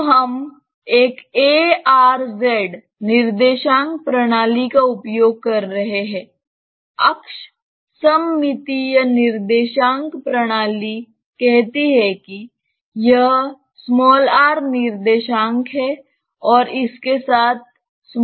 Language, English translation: Hindi, So, we are using a r z coordinate system, axis symmetric coordinate system say this is r coordinate and along this there is z coordinate